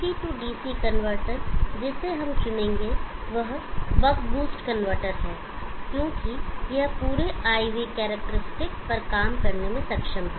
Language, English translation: Hindi, The DC DC convertor where we will choose is the buck boost converter, because it is able to operate on the entire IV characteristic